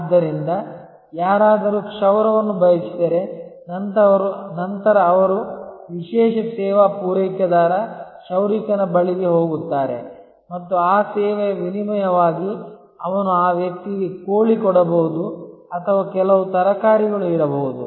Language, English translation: Kannada, So, if somebody wanted a haircut, then he will go to the specialized service provider, the barber and in exchange of that service he would possibly give that person a chicken or may be some vegetables or so on